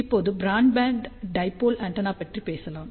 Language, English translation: Tamil, So, now let us talk about broadband dipole antenna